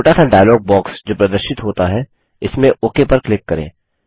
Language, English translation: Hindi, In the dialog box that appears, click on the Replace tab